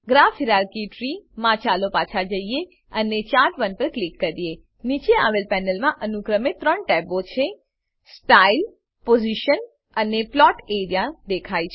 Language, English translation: Gujarati, In the Graph hierarchy tree lets go back and click on Chart1 In the panel below, three tabs, Style, Position and Plot area are seen.